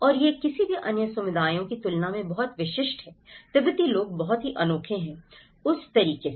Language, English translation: Hindi, And that is very specific compared to any other communities; the Tibetans are very unique on that manner